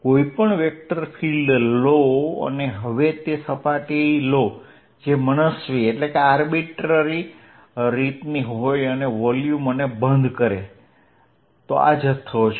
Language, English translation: Gujarati, Take any vector field and now take a surface which is of arbitrary shape and encloses the volumes, this is the volume